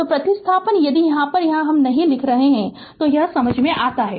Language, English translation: Hindi, So, upon substitution if I am not writing here it is understandable